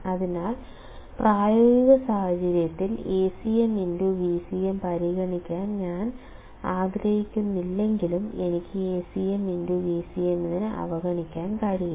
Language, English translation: Malayalam, So, if I do not want to consider Acm into Vcm in practical situation then I cannot just ignore Acm into Vcm